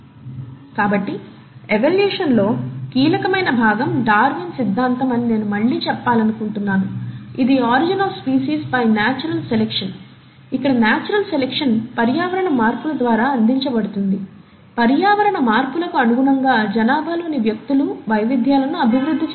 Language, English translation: Telugu, So, I would like to again say, that the crucial part in evolution has been the theory of Darwin, which is the ‘Origin of Species by means of Natural Selection’, where the natural selection is essentially provided by the environmental changes; and in order to adapt to the environmental changes, individuals in a population will develop variations